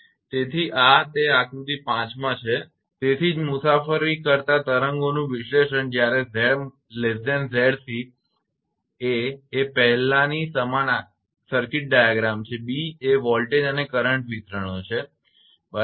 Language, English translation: Gujarati, So, this is actually it is in figure 5 that is why analysis of travelling waves when Z less than Z c a, is the circuit diagram same as before and b, is the voltage and current distributions, right